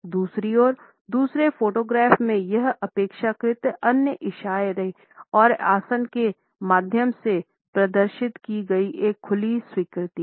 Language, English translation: Hindi, On the other hand, in the second photograph it is relatively an open acceptance of the other which is displayed through the gestures and postures